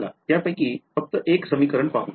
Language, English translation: Marathi, So, let us look at just one of those equations ok